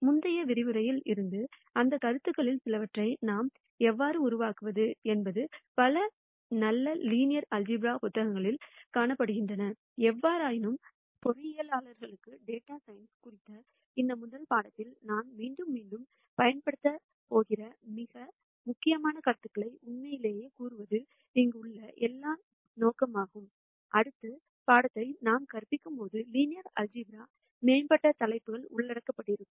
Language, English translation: Tamil, And from the previous lectures, how do we develop some of those concepts more can be found in many good linear algebra books; however, our aim here has been to really call out the most important concepts that we are going to use again and again in this first course on data science for engineers, more advanced topics in linear algebra will be covered when we teach the next course on machine learning where those concepts might be more useful in advanced machine learning techniques that we will teach